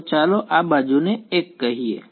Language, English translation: Gujarati, So, let us called this edge 1